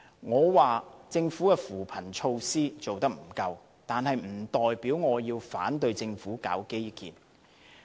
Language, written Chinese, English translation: Cantonese, 我批評政府的扶貧措施做得不足，但並不代表我反對政府進行基建。, While I criticize the Government for not doing enough to help the poor I do not oppose the Governments implementation of infrastructure projects